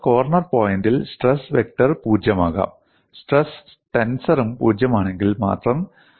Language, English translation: Malayalam, So, at the corner point, stress vector can be 0, only if stress tensor is also 0